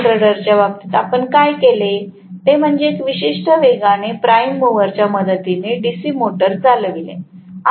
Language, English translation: Marathi, In the case of a DC generator what we did was to run the DC generator with the help of a prime mover at a particular speed